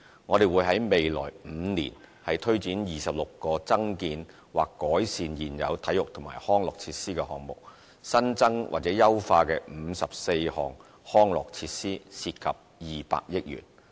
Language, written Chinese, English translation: Cantonese, 我們會在未來5年推展26個增建或改善現有體育及康樂設施的項目，新增或優化54項康體設施，涉及200億元。, 20 billion will be spent in the coming five years to launch 26 projects to develop or improve 54 new and existing sports and recreation facilities